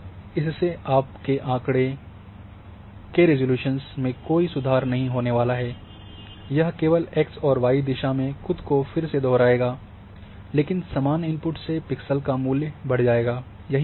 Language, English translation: Hindi, But there is not going to improve anyway the resolution of your dataset it will only repeat in both direction x and y direction, but more value of the same input value of pixel